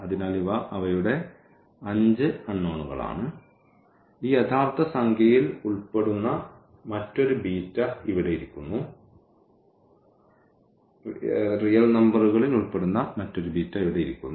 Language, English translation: Malayalam, So, these are their 5 unknowns and there is another beta here is sitting which belongs to this real number